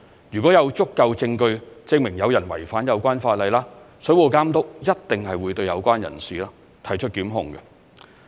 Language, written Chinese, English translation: Cantonese, 如果有足夠證據證明有人違反有關法例，水務監督一定會對有關人士提出檢控。, If anyone is found in violation of the regulations concerned the Water Authority will bring prosecution against the person where there is sufficient evidence